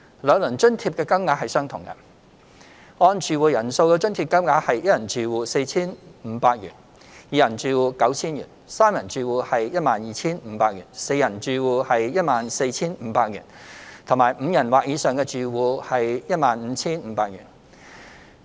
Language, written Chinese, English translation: Cantonese, 兩輪津貼的金額相同，按住戶人數的津貼金額為一人住戶 4,500 元、二人住戶 9,000 元、三人住戶 12,500 元、四人住戶 14,500 元及五人或以上住戶 15,500 元。, The subsidy amount for each of the household size groups for the two rounds of disbursement is the same ie . 4,500 for one - person households 9,000 for two - person households 12,500 for three - person households 14,500 for four - person households and 15,500 for five - or - more - person households